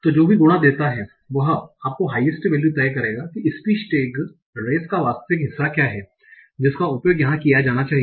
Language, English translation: Hindi, So whichever multiplication gives you the highest value will decide what is the actual part of speech tag of race that should be used here